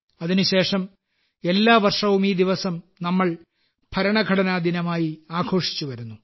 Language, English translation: Malayalam, And since then, every year, we have been celebrating this day as Constitution Day